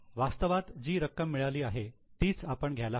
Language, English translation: Marathi, We should only take the amount which is actually received